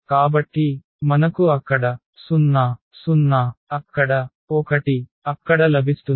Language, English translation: Telugu, So, we will get 0 there, 0 there, 1 there